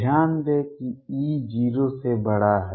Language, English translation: Hindi, Notice that e is greater than 0